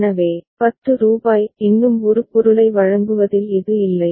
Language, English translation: Tamil, So, rupees 10 still it is not the case of delivering a product